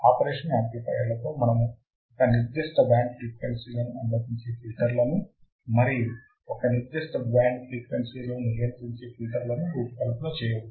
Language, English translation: Telugu, With the operational amplifier we can design filters that can allow a certain band of frequencies to pass and certain band of frequency to stop